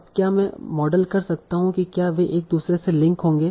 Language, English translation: Hindi, Now can I model whether they will link to each other given their individual topics